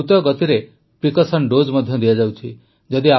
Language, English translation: Odia, Precaution dose is also being rapidly administered in the country